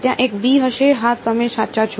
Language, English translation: Gujarati, There will be a b yeah you are right